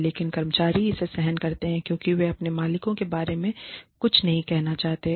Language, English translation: Hindi, But, employees tolerate it, because, they do not want to say anything, about their bosses